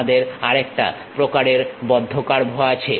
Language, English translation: Bengali, We have another kind of closed curve also